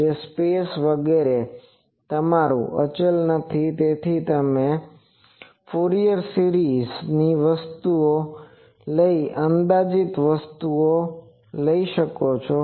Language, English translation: Gujarati, , is not your constant, so you can approximate by taking Fourier series thing and that also you can do